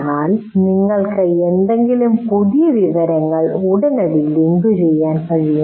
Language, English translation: Malayalam, But you should be able to immediately link any new information to that